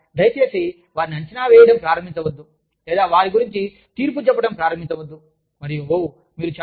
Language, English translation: Telugu, You know, please do not start assessing them, or, do not start judging them, and say, oh